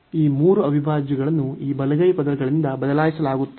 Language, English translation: Kannada, So, these three integrals will be replaced by these right hand side terms